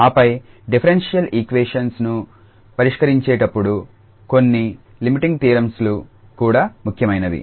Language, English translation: Telugu, And then, some Limiting theorems they are also important for instance while solving the differential equations